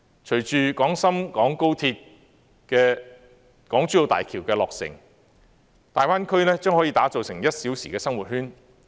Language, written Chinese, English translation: Cantonese, 隨着廣深港高鐵和港珠澳大橋的落成，大灣區將可打造成"一小時生活圈"。, Along with the completion of the Guangzhou - Shenzhen - Hong Kong Express Rail Link and the Hong Kong - Zhuhai - Macao Bridge the Greater Bay Area will form a one - hour living circle